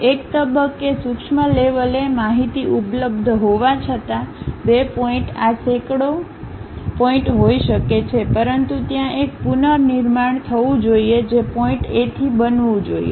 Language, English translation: Gujarati, Though, information is available at discrete levels at one point, two points may be hundreds of points, but there should be a reconstruction supposed to happen from point to point